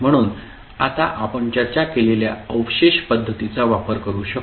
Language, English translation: Marathi, So, we can use the residue method, which we discussed just now